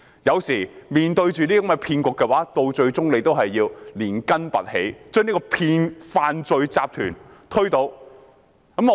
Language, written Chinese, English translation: Cantonese, 有時候面對這些騙局，最終政府仍要連根拔起，將這個犯罪集團推倒。, Sometimes in the face of such hoaxes the Government will eventually have to bring down and eradicate this criminal syndicate